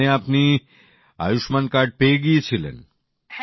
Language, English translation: Bengali, So you had got an Ayushman card